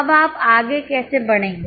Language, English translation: Hindi, How will you go ahead